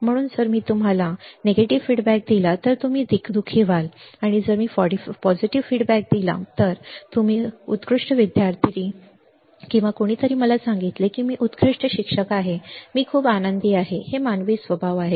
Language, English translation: Marathi, So, if I give you a negative feedback you will be unhappy and if I give positive feedback, oh, your excellent student or somebody tells me, I am an excellent teacher, I am very happy, these are the human nature